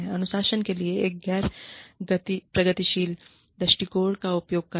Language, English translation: Hindi, Using a non progressive approach to discipline